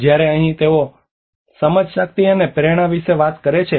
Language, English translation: Gujarati, Whereas here they talk about the heuristics, cognition, and intuitions